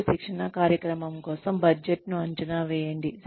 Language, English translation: Telugu, And, estimate a budget for the training program